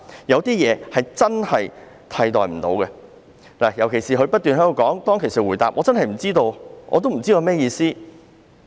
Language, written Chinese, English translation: Cantonese, 有些事真的不能被取代，正如他當時不斷回答，他真的不知道有甚麼意思。, There are things which really cannot be replaced . As in his case he kept replying at that time that he really had no idea what it meant